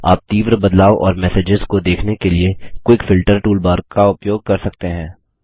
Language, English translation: Hindi, You can use the Quick Filter toolbar to quickly filter and view messages